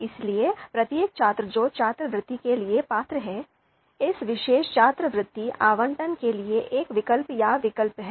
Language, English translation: Hindi, So each each of the student which is eligible for the scholarship, they are one they are one alternative, one option, for this particular scholarship allocation